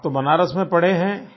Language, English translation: Hindi, You have studied in Banaras